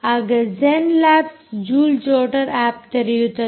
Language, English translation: Kannada, you will see that zenlabs um joule jotter app opens